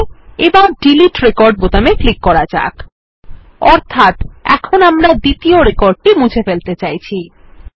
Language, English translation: Bengali, Good, let us now click on the Delete Record button, meaning, we are trying to delete this second record